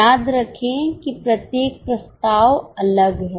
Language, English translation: Hindi, Remember each proposal is separate